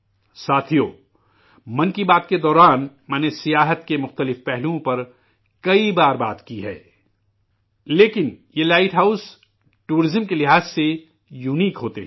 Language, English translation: Urdu, Friends, I have talked of different aspects of tourism several times during 'Man kiBaat', but these light houses are unique in terms of tourism